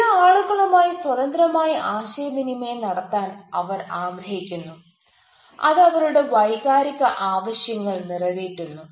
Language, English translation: Malayalam, they are at ace to communicate freely with certain peoples, which satisfies their emotional needs